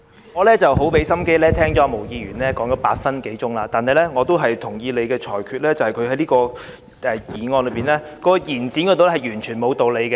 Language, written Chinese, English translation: Cantonese, 我很用心聆聽毛議員發言超過8分鐘，但我也同意你的裁決，便是她就這項延展期限的議案提出的論點全沒理據。, Having listened attentively to Ms Claudia MOs speech for more than eight minutes I do agree to your ruling that her arguments about the proposed resolution on extending the period for amending the relevant subsidiary legislation are absolutely groundless